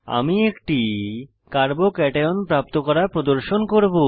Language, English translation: Bengali, I will show how to obtain a Carbo cation